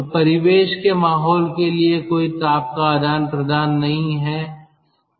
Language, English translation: Hindi, so there is no heat exchange to the ambient atmosphere